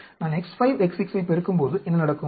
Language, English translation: Tamil, What happens when I multiply X 5,X 6